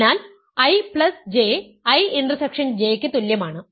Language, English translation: Malayalam, So, I intersection J is equal to I J